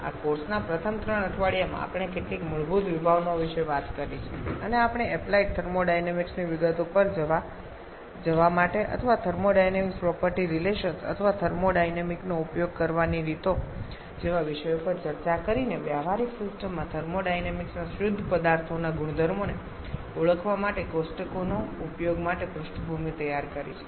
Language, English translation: Gujarati, In the first three weeks of this course we have talked about some basic concepts and also we have prepared the backdrop for going to the details of applied thermodynamics or application of thermodynamics to practical systems by discussing topics like thermodynamic property relations or the ways of using thermodynamic tables for identifying the properties of pure substances